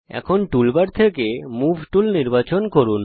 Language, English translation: Bengali, Let us now select the Move tool from the toolbar